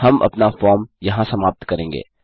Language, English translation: Hindi, Well end our form here